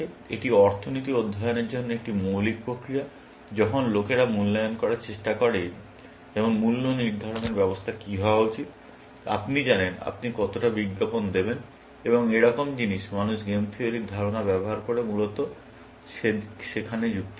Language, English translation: Bengali, It is a basic mechanism for studying economics, when people try to evaluate things like, what should be the pricing mechanism; you know, how much will you advertise and things like that; people use game theoretical concept to reason there, essentially